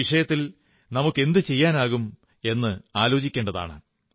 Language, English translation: Malayalam, We should think about what more can be done in this direction